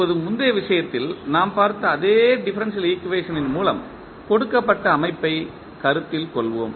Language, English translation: Tamil, Now, let us consider the system given by the differential equation same differential equation we are using which we saw in the previous case